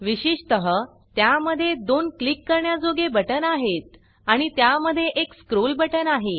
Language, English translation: Marathi, Typically, it has 2 clickable buttons and a scroll button in between